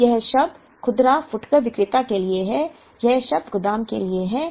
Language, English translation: Hindi, Now, this term is for the retailer, this term for the warehouse